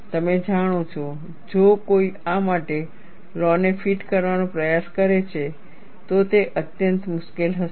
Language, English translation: Gujarati, You know, if somebody tries to fit a law for this, it would be extremely difficult